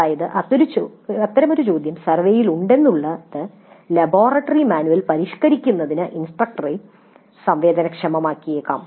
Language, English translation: Malayalam, So the very fact that such a question is there in the survey might sensitize the instructor to revising the laboratory manual